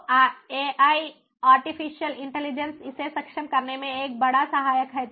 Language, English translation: Hindi, so ai, artificial intelligence comes as a big helper in enabling this